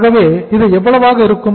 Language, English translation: Tamil, So this will be how much